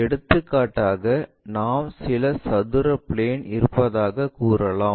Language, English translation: Tamil, For example, if we might be having some square block